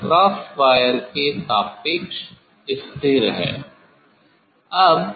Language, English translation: Hindi, this is fixed with respect to the cross wire